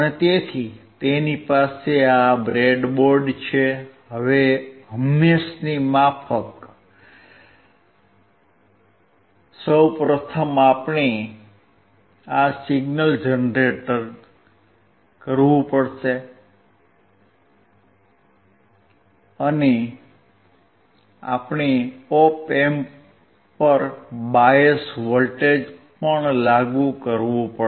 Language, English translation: Gujarati, So, he has this breadboard, now as usual, first of all we have to generate this signal, and we also have to apply the bias voltage to the op amp